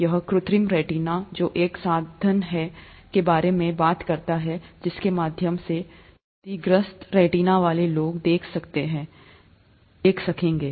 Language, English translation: Hindi, This is artificial retina which talks about a means by which people with damaged retina could be, would be able to see